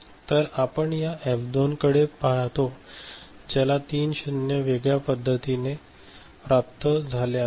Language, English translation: Marathi, So, we look at, we look at this F2 which has got three 0s realization in a different manner ok